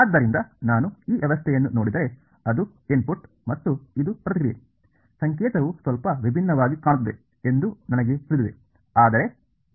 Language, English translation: Kannada, So, if I look at this system, so, this is the input and this is the response, I know that the notation looks a little different ok, but its